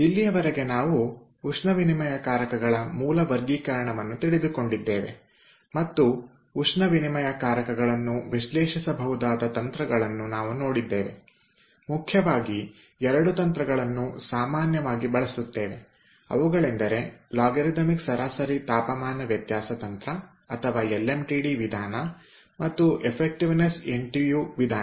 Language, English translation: Kannada, so far we have covered the base basic classification of heat exchangers and we have seen the techniques by which heat exchangers can be analyzed, mainly two techniques which are most commonly used, that is, logarithmic mean temperature difference technique, or lmtd method, and effectiveness ntu method